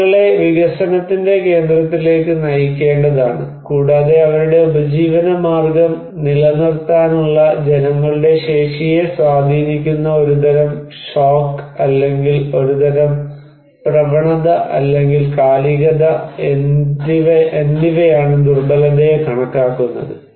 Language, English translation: Malayalam, People should be put into the center of the development and vulnerability is considered as a kind of shock or a kind of trend or seasonality that influence the capacity of the people to maintain their livelihood